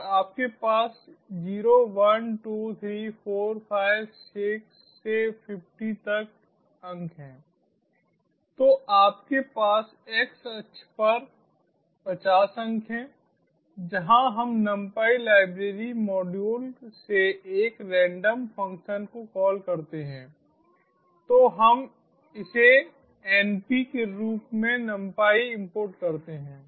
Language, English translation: Hindi, so you will have zero, one, two, three, four, five, six, upto fiftyso you have fifty points on the xaxis where, as we call a random function from numpy library module, lets call it import numpy as np